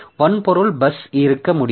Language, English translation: Tamil, There can be hardware bus